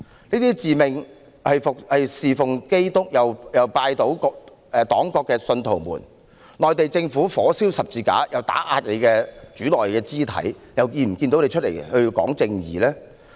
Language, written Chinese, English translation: Cantonese, 這些自命侍奉基督又拜倒黨國的信徒們，內地政府火燒十字架又打壓他們的主內肢體，為何不見他們站出來說要尋求正義呢？, These self - proclaimed disciples of Jesus Christ who also bow to the Communist Party and the State at the same time why did I not see them stand up and speak in quest for justice when the Mainland Government burnt the cross and suppressed their brothers and sisters in Christ?